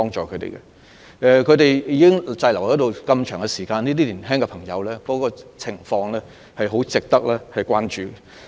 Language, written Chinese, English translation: Cantonese, 他們現時已經滯留了一段很長時間，這些青年人的情況相當值得關注。, These students have been stranded for a very long time . The situation of these young people is worthy of our attention